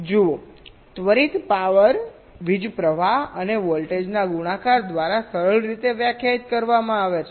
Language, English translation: Gujarati, see, instantaneous power is defined simple, by the product of the current and the voltage